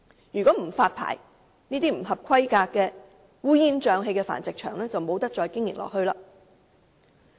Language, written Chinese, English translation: Cantonese, 如果這些不合乎規格、烏煙瘴氣的繁殖場不獲發牌，便無法繼續經營。, So long as those substandard and messy breeding facilities are unable to obtain a licence they cannot continue to operate